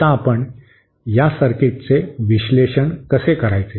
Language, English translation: Marathi, Now, how do we analyse this circuit